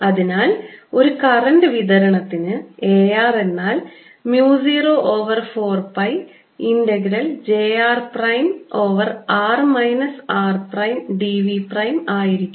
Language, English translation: Malayalam, i have a r is equal to mu zero over four pi integral d l prime over r minus r prime